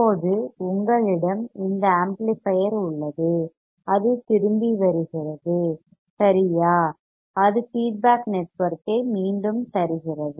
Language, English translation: Tamil, Now, you have this amplifier it goes it comes back it feeds the feedback network comes back right